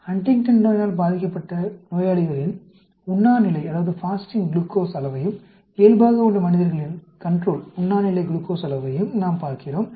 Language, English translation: Tamil, We are looking at the fasting glucose levels of patients who are having Huntington's Disease, and those of the control